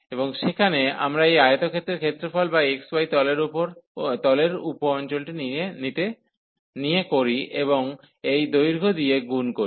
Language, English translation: Bengali, And there we take this product of the area of this rectangle or the sub region in the x, y plane and multiplied by this height